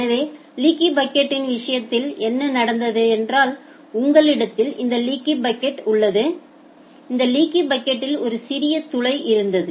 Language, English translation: Tamil, So, in case of leaky bucket what was happening, you had this leaky bucket and a small hole in this leaky bucket